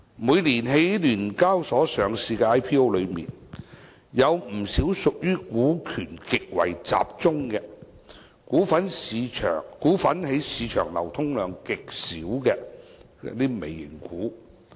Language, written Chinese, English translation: Cantonese, 每年在香港聯合交易所有限公司上市的 IPO 之中，有不少屬於股權極為集中、股份在市場流通量極少的"微型股"。, Every year among the IPOs listed on The Stock Exchange of Hong Kong Limited SEHK not a few are micro caps with high shareholding concentration and very low liquidity in the market